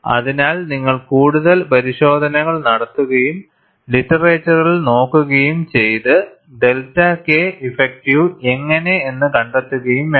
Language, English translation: Malayalam, So, you have to perform more tests and look at the literature and find out, how to get the delta K effective